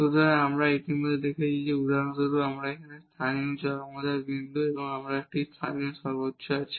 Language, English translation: Bengali, So, we have already seen that this is for example, the point of local extrema here, we have a local maximum